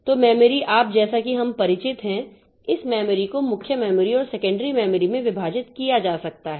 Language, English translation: Hindi, So, memory, so you can, as we may be, as we are familiar, this memory can be divided into the main memory and secondary memory